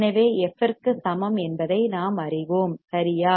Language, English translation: Tamil, So, we know that f equals to correct